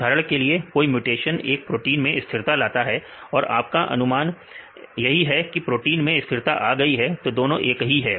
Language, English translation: Hindi, For example, a mutation stabilize a protein and you predict the stabilize the protein; so, both are same